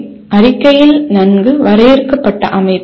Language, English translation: Tamil, And the outcome statement should have a well defined structure